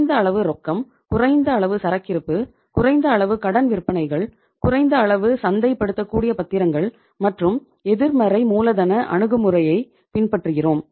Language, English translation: Tamil, Minimum level of cash, minimum level of inventory, minimum level of credit sales, minimum level of marketable securities and you are following a negative working capital approach